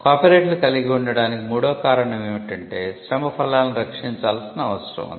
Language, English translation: Telugu, The third rationale for having copyrights is that the fruits of labour need to be protected